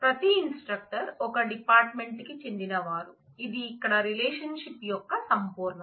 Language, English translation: Telugu, Every instructor belongs to one department which is the totality of the relationship here